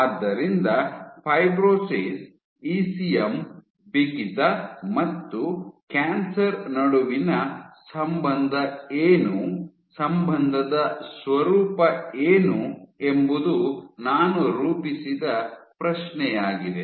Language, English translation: Kannada, So, the question I framed was what is the relationship between fibrosis, ECM stiffness and cancer, what is the nature of the relationship